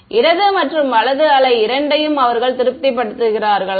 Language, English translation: Tamil, Do they also satisfied both left and right wave